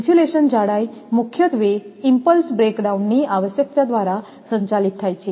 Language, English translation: Gujarati, The insulation thickness is mainly governed by the requirement of impulse breakdown